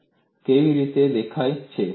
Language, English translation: Gujarati, How does this appear